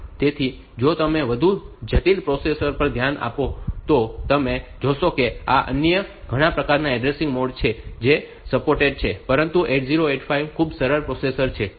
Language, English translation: Gujarati, So, if you look into more complex processors you will find that these there are many other types of addressing modes that are supported, but 8085 being a very simple processor